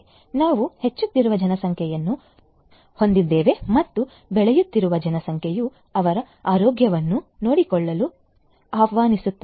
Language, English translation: Kannada, We have a growing population and growing population also will invite you know taken care of their health